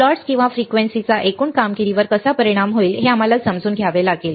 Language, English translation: Marathi, We had to understand how the plots or how the frequency will affect the overall performance right